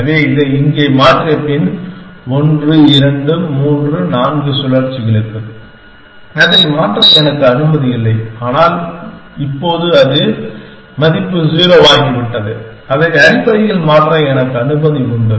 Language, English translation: Tamil, So, after having change this here, then for 1, 2, 3, 4 cycles I am not allowed to change it, but now it, the value is become 0 I am allowed to change it essentially